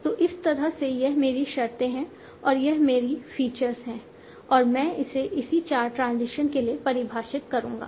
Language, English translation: Hindi, So like that this can be my condition, that is my features and I will define it for all the four transitions